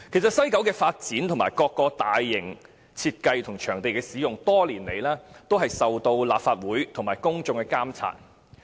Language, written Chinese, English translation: Cantonese, 西九文化區的發展和各個大型設計及場地使用，多年來一直受到立法會和公眾監察。, Issues concerning the development of WKCD the design of large - scale projects and the use of venues have been monitored by the Legislative Council and members of the public over the years